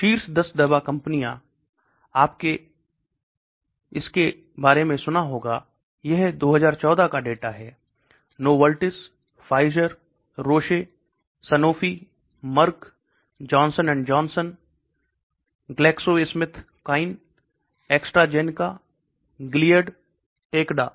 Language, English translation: Hindi, The top 10 pharmaceutical companies you might have heard about it, this is 2014 data: Novartis, Pfizer, Roche, Sanofi, Merck, Johnson and Johnson, GlaxoSmithKline, AstraZeneca, Gilead, Takeda